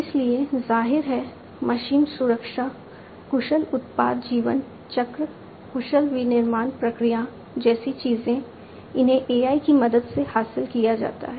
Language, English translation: Hindi, So; obviously, things like machine learning sorry machine safety, efficient products lifecycle, efficient manufacturing processes, these could be achieved with the help of AI